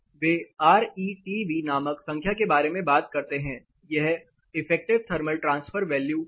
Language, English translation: Hindi, They talk about a number called RETV; that is effective thermal transfer value